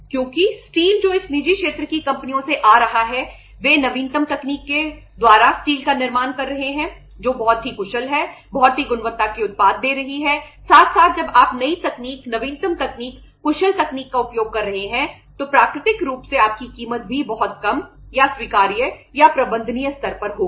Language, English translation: Hindi, Because the steel which is coming from the this private sector companies they are manufacturing the steel by having a latest new technology which is very efficient giving the very efficient quality product as well as when you are using the new technology, latest technology, efficient technology naturally your price will also be very very uh low or at the acceptable or at the manageable level